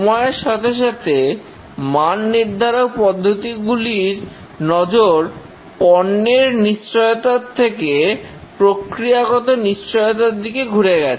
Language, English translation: Bengali, Over the time that the quality systems have evolved, the emphasis are shifted from product assurance to process assurance